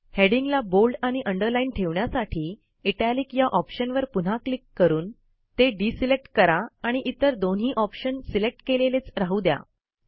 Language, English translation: Marathi, In order to keep the heading bold and underlined, deselect the italic option by clicking on it again and keep the other two options selected